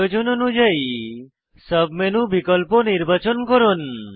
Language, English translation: Bengali, Select options from the sub menu, according to the requirement